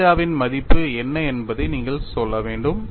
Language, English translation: Tamil, So, what would be the value of theta that you have to use